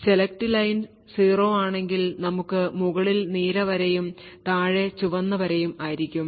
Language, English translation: Malayalam, If the select line is 0 then we have the blue line on top over here and the red line at the bottom